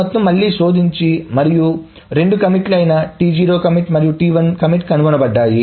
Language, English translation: Telugu, So then again this entire thing is searched and both commit T0 and commit T1 is found